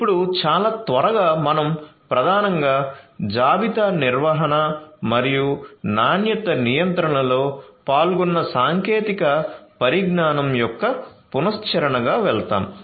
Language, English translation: Telugu, So, now very quickly we will go through as a recap of the technologies that are involved primarily in inventory management and quality control